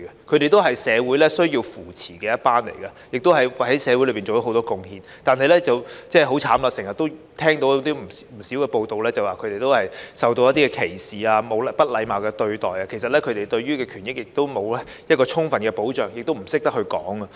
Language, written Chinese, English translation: Cantonese, 他們也是社會需要扶持的一群，亦為社會作出很多貢獻，但很可憐地，我們經常聽到不少報道指他們受到歧視和不禮貌對待，他們的權益沒有得到充分保障，他們亦不懂得申訴。, They are among the socially vulnerable group and have made considerable contribution to society but very pitifully there have been numerous news reports about their being subject to discrimination and impolite treatment . Their rights and interests have not been fully protected and they do not know how to have their grievances redressed